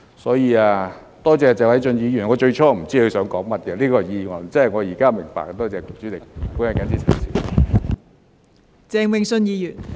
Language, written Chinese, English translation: Cantonese, 因此，多謝謝偉俊議員，我最初也不知道他這項議案究竟想說甚麼，現在明白了。, Given the above I have to thank Mr Paul TSE . I just could not make sense of the contents of his motion at first but it is all so clear to me now